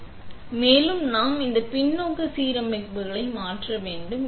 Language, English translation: Tamil, So, it is on, but also, we need to change this to backside alignments